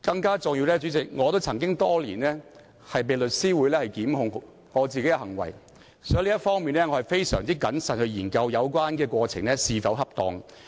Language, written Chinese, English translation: Cantonese, 更重要的是，代理主席，在多年來我也曾被香港律師會檢控我的行為，所以我在這方面會非常謹慎地研究有關過程是否恰當。, More importantly Deputy President I had been subjected to the prosecution initiated by The Law Society of Hong Kong in past years so I have been extremely cautious in examining the appropriateness of the process in this respect